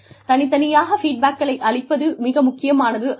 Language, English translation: Tamil, But, individual feedback should also be given